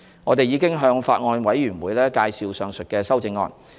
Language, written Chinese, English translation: Cantonese, 我們已向法案委員會介紹上述修正案。, We have briefed the Bills Committee on the aforementioned amendments